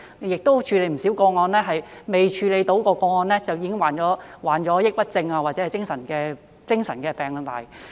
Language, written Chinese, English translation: Cantonese, 在過往處理的不少個案中，未處理到的個案的相關人士便已經患上抑鬱症或者精神病。, In many of the cases handled previously the person concerned had already suffered from depression or mental illness before the case was handled